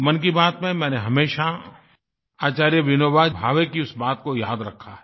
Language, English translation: Hindi, In Mann Ki Baat, I have always remembered one sentence of Acharya Vinoba Bhave